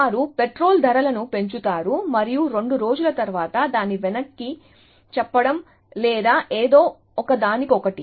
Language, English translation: Telugu, So, they would increase the petrol prices and after two days roll it back or something, little bit like that